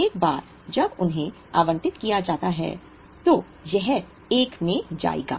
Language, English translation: Hindi, Once they are allotted it will go in 1